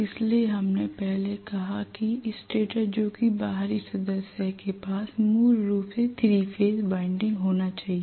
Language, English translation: Hindi, So we said first that the stator which is the outer member will have basically the 3 phase winding housed inside that